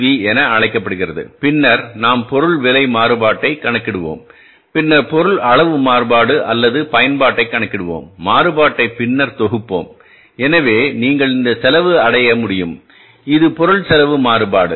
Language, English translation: Tamil, Then we will calculate the material price variance and then we will calculate the material quantity variance or the usage variance and then we will sum it up so you will be able to arrive at this cause that is the material cost variance